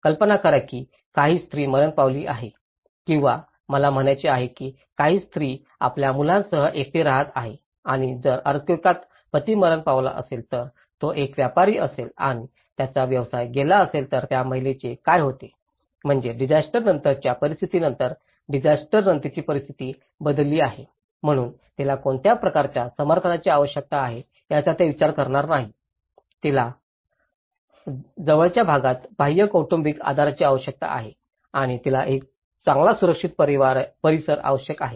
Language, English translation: Marathi, Just imagine some woman have died or I mean, some woman is left alone with her children and if a husband was died in an earthquake, if he was a businessman and his business was lost so, what happens to the woman so, which means a situation have changed from before disaster to the post disaster, so they will not take an account what kind of support she needs, she needs an external family support in the nearby vicinity areas or she needs a good safe neighbourhood